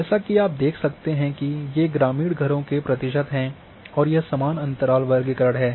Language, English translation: Hindi, As you can see that these are the rural houses in percentage and this is equal interval classification